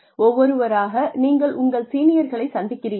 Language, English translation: Tamil, One by one, and you go, and meet your seniors